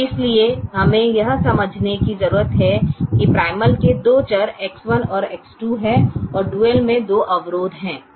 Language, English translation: Hindi, so we need to understand that the primal has two variables: x one and x two